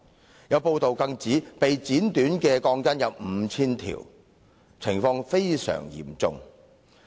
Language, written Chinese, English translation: Cantonese, 此外，有報道指被剪短的鋼筋共 5,000 根，情況相當嚴重。, Furthermore it had been reported that a total of 5 000 steel bars had been cut short which was very serious indeed